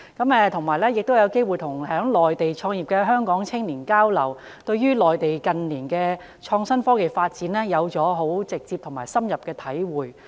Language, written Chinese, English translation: Cantonese, 此外，我亦有機會與在內地創業的香港青年交流，對於內地近年的創新科技發展有了更直接及深刻的體會。, Besides I also had the opportunity to exchange views with the young people from Hong Kong who started their businesses in the Mainland . It allowed me to have more direct and deeper understanding of the IT development in the Mainland in recent years